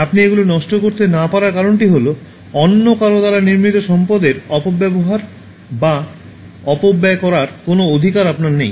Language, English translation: Bengali, The reason why you cannot waste them is that, you have no right to misuse or waste resource created by somebody else on your behalf